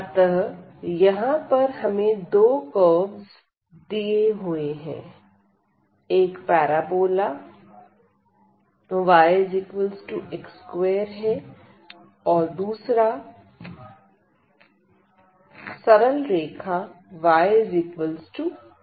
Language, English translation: Hindi, So, we have two curves here: one is the parabola y is equal to x square, and the other one is the straight line y is equal to x